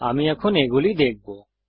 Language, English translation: Bengali, We shall now look at these